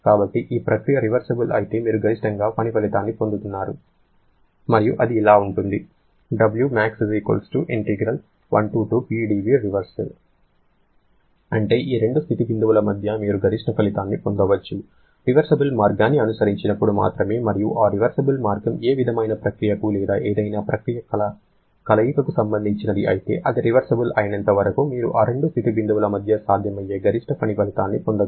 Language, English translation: Telugu, That is between these two state points, you can get the maximum output, only when a reversible path has been followed and that reversible path can be related to any kind of process or combination of any processes but as long as that is reversible, you are going to get the maximum possible work output between those two state points